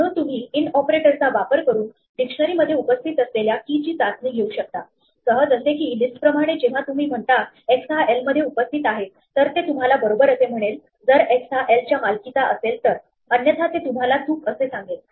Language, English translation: Marathi, So, you can test for a key being in a dictionary by using the in operator, just like list when you say x in l for a list it tells you true if x belongs to l the value x belongs to l, it tells you false otherwise